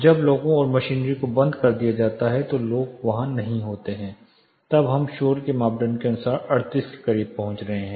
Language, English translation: Hindi, When people and machinery are all you know machinery turned off people are not there then we are getting somewhere close to 38 as the noise criteria